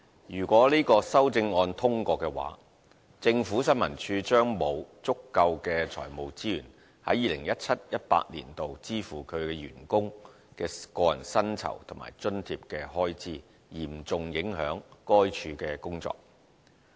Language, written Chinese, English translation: Cantonese, 如果這項修正案獲得通過，政府新聞處將會沒有足夠的財務資源在 2017-2018 年度支付其員工的個人薪酬和津貼的開支，嚴重影響該處的工作。, If these amendments are passed ISD will have insufficient fiscal resources to cover the expenses on the personal emoluments and allowances of its staff in 2017 - 2018 and its work will be seriously affected as a result